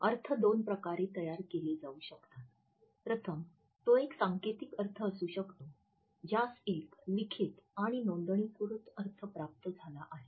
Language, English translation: Marathi, The meaning may be constructed in two ways, firstly, it may be a codified meaning which has got a well written and well documented meaning